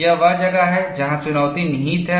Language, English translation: Hindi, That is where the challenge lies